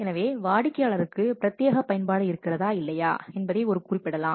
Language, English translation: Tamil, So it could specify that the customer has exclusively use or not